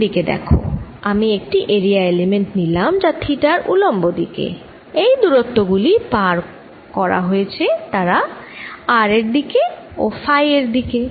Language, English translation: Bengali, if i am taking an area element perpendicular to theta, the distances covered are going to be in the r direction and in phi direction